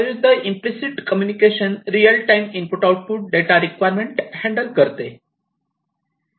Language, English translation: Marathi, On the contrary, implicit handles real time input output data requirements